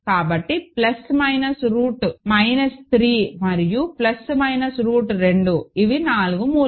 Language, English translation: Telugu, So, plus minus root minus 3 and plus minus root 2 these are the 4 roots